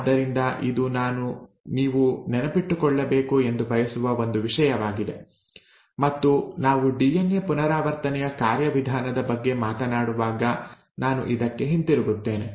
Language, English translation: Kannada, So this is one thing that I want you to remember and I will come back to this when we are talking about the mechanism of DNA replication